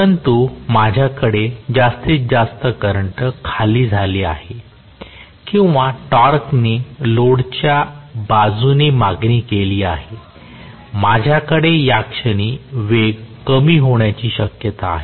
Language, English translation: Marathi, But as I have more and more current drawn, or the torque demanded from the load side, I am going to have at this point so much of drop in the speed